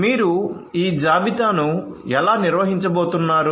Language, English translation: Telugu, So, how you are going to manage this inventory